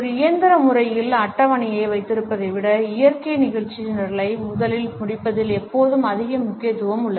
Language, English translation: Tamil, There is always more emphasis on finishing the natural agenda first rather than keeping the schedule in a mechanical manner